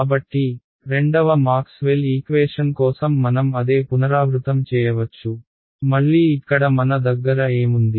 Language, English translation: Telugu, So, I can repeat the same exercise for the second Maxwell’s equation right; again there what do I have